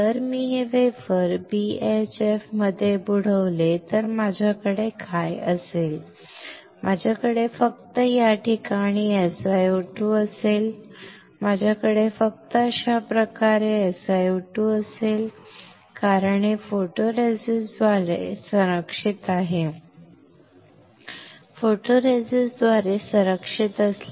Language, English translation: Marathi, If I dip this wafer in BHF what will I have, I will have SiO2 only in this place; I will have SiO2 only this way, because this is covered by this is protected by photoresist; is protected by photoresist